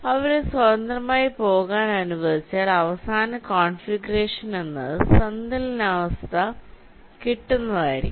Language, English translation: Malayalam, and when you leave them along to move around freely, the final configuration will be the one in which the system achieves equilibrium